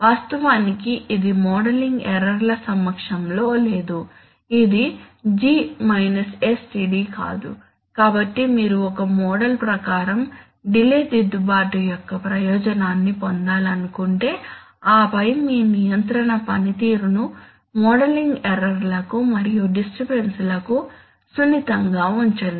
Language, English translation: Telugu, Actually this is not in presence of modeling errors this is not G sTd, so if you want to have the benefit of a delay correction according to a model and then also keep your control performance sensitive to modeling errors as well as disturbances then you must feedback measurement